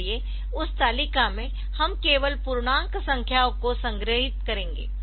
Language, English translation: Hindi, So, in that table we will store the integer numbers only